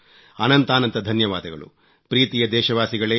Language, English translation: Kannada, I thank you my dear countrymen